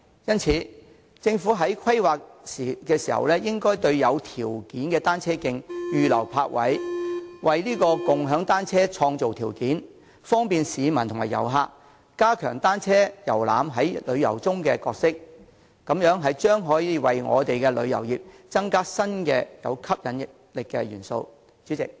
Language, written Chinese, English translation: Cantonese, 因此，政府在進行規劃時，應該在有條件的單車徑預留泊位，為共享單車創造條件，方便市民和遊客，加強單車遊覽在旅遊中的角色，這樣將可以為我們的旅遊業增加具吸引力的新元素。, Hence in conducting planning the Government should reserve parking spaces on suitable cycle tracks to create favourable conditions for bicycle - sharing offer convenience to members of the public and tourists and enhance the role of bicycle tours in tourism . This can add an attractive new element to our tourist industry